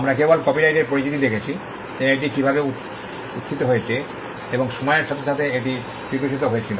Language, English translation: Bengali, We just saw the introduction to copyright and how it originated and evolved over a period of time